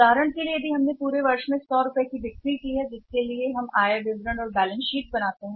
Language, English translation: Hindi, For example we have sold for 100 rupees in the whole of the year for which they prepare the balance sheet and income statement